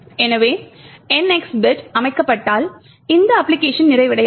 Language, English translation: Tamil, So, this application would not complete if the NX bit gets set